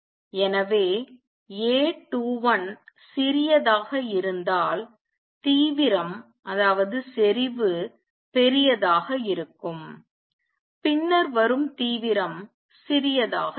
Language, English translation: Tamil, So, intensity would be larger if A 21 is small then the intensity coming would be smaller